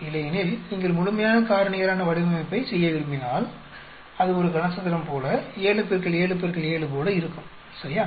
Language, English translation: Tamil, Otherwise if you want to do complete factorial design it will be like 7 into 7 into 7, like a cubic, right